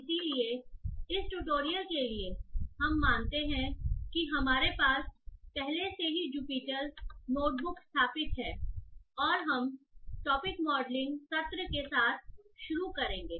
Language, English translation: Hindi, So for this tutorial we assume that you already have Jupiter Notebook installed and we will be starting with the topic modeling session